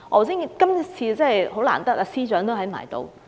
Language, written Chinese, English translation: Cantonese, 今天真的很難得司長也在席。, We are lucky to have the Chief Secretary with us today